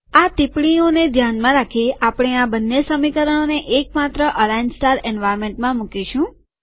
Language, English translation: Gujarati, In view of these observations, we put both of these equations into a single align star environment